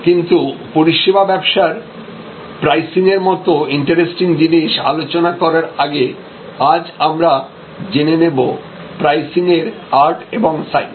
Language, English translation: Bengali, But, before we get into those interesting areas of price setting in services business, let us review today some fundamentals about the art and science of pricing